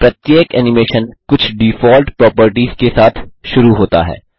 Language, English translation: Hindi, Each animation comes with certain default properties